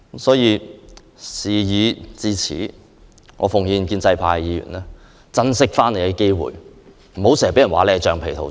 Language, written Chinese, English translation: Cantonese, 事已至此，我奉勸建制派議員珍惜機會，不要老是被稱為"橡皮圖章"。, As things have developed to this present stage I urge pro - establishment Members to cherish this opportunity to get rid of the stigma of being rubber stamps